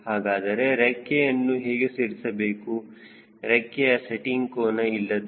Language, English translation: Kannada, so how i am laying the wing: no wing setting angle